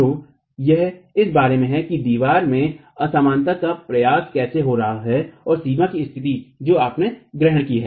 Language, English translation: Hindi, So, it is about how the propagation of inelasticity is occurring in the wall and the boundary conditions that you have assumed